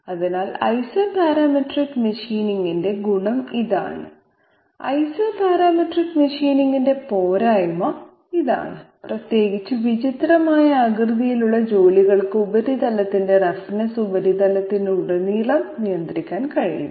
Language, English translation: Malayalam, So this is the advantage of Isoparametric machining non intensive computationally and this is the disadvantage of Isoparametric machining that surface roughness cannot be controlled all over the surface especially for odd shaped jobs